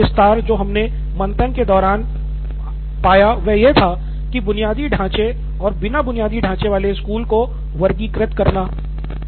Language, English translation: Hindi, A little detail that came in between was that what about schools with infrastructure and without infrastructure